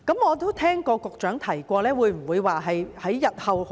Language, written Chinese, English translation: Cantonese, 我都聽過局長提及不久後會進行研究。, I have heard the Secretary mention that studies will be conducted in the near future